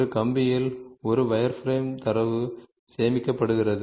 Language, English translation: Tamil, This is how a wireframe data is stored in a computer